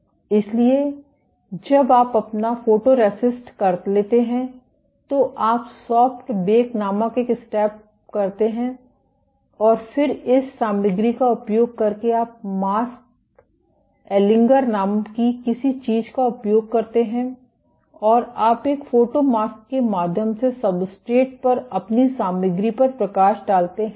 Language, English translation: Hindi, So, after you have done your photoresist, you do a step called soft bake and then using this material you use something called a mask aligner and you shine light onto your material on substrate through a photo mask